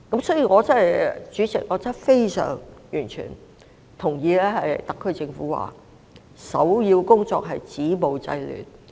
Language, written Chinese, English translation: Cantonese, 因此，主席，我非常認同特區政府所言，首要工作是止暴制亂。, Hence President I fully agree with the view of the SAR Government that the most important task is to stop violence and curb disorder